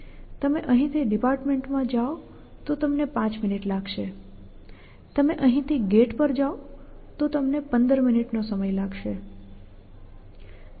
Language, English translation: Gujarati, You go from here to the department it will take you 5 minutes you will go from here to the gate it may take you 15 minutes